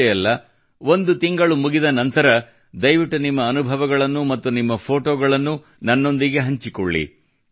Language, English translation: Kannada, And when one month is over, please share your experiences and your photos with me